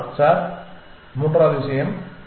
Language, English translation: Tamil, Sir The third thing